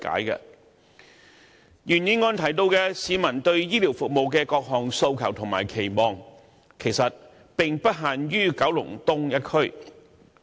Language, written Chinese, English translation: Cantonese, 原議案提到市民對醫療服務的各項訴求和期望，其實並不限於九龍東一區。, The original motion mentioned the demands and aspirations of the public for healthcare services . In fact these are not restricted to Kowloon East